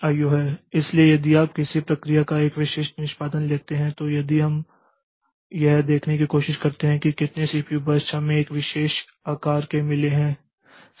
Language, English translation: Hindi, So, if you take a typical execution of a process then if we try to see like how many CPU burst we got of a particular size